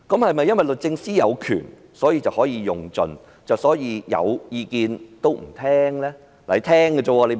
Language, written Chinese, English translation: Cantonese, 是否因律政司司長有權，所以可以盡用，因而有意見也不聆聽呢？, Is it because the Secretary for Justice has the power and therefore she can exploit the power to the fullest extent and shut her ears to others opinions?